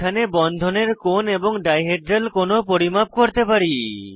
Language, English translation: Bengali, We can also measure bond angles and dihedral angles in a model